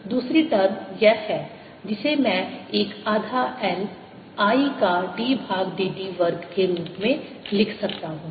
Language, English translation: Hindi, the other term is this, one which i can write as one half l d by d t of i square